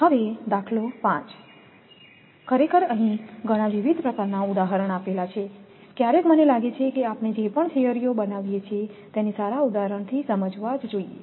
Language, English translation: Gujarati, Now, example 5: actually so many different type of examples it giving that sometimes I feel that all the theories whatever we make it should be supported by good examples